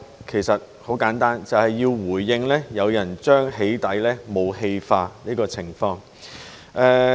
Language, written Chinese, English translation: Cantonese, 其實很簡單，便是要回應有人將"起底"武器化的情況。, The answer is simple . We do so to respond to people who have turned the acts of doxxing into a weapon